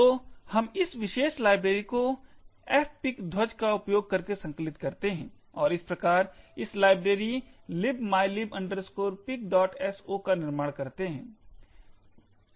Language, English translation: Hindi, So, we compile this particular library using the F, minus F pic file, a flag and thus create this library libmylib pic